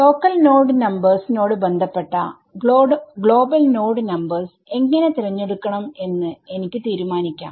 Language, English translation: Malayalam, Now corresponding to these local node numbers, I get to choose how to decide to fix the global node numbers ok